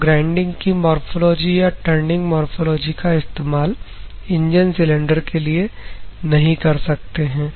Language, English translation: Hindi, You cannot use the grinding morphology or the turning morphology for the engine cylinder